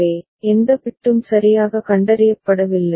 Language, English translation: Tamil, So, no bit is properly detected ok